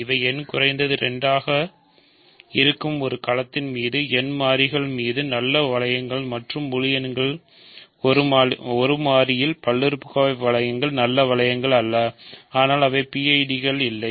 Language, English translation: Tamil, So, these are nice rings polynomial rings over in n variables over a field where n is at least 2 and polynomial ring in one variable over the integers are not are nice rings, but they are not PIDs ok